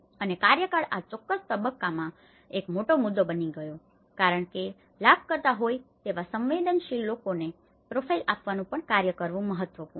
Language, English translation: Gujarati, And the tenure has become a big issue in this particular phase, because and also profiling the vulnerable people who are the beneficiaries, is also important as task